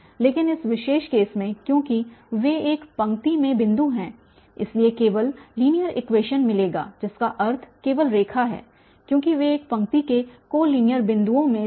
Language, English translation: Hindi, But in this particular case because they are points in one line so will get only linear equation that means only the line because they were in one line co linear points